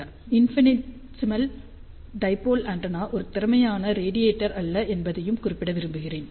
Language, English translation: Tamil, I also want to mention that infinitesimal dipole antenna is not an efficient radiator